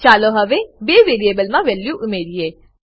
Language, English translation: Gujarati, Now let us add the values in the two variables